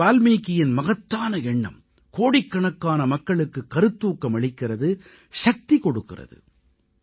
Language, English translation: Tamil, Maharishi Valmiki's lofty ideals continue to inspire millions of people and provide them strength